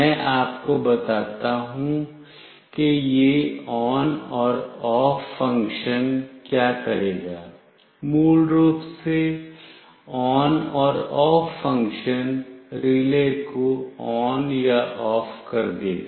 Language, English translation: Hindi, Let me tell you what this ON and OFF function will do; basically the ON and OFF function will make the relay ON or OFF